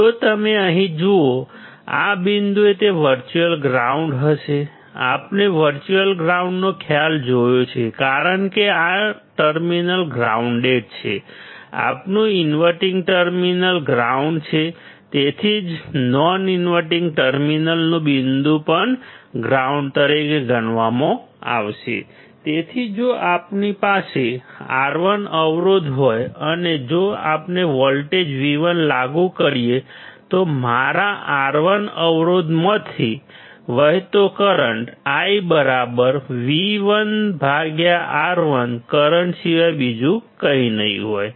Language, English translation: Gujarati, If you see here; at this point it will be virtual ground; we have seen the concept of virtual ground because this terminal is grounded, our inverting terminal is grounded that is why the point at the non inverting terminal will also be considered as grounded; So, if we have a resistor R1; and if we apply a voltage V1 then the current flowing through my resistor R1 would be nothing but current I equal to V1 by R1